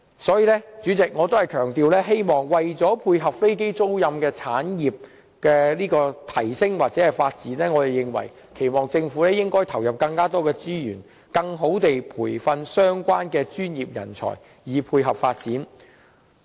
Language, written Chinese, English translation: Cantonese, 所以，主席，我仍要強調，為了配合飛機租賃產業的提升或發展，我們期望政府投入更多資源，更有效地培訓相關的專業人才，以配合發展。, Therefore I still want to emphasize that for the sake of enhancing or developing the aircraft leasing industry we do hope that the Government will inject more resources for training relevant professional talents more effectively to support the development of the industry